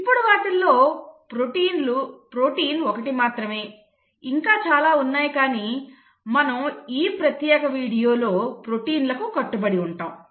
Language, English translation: Telugu, Now protein is one of them, there are quite a few others but we will stick to proteins in this particular video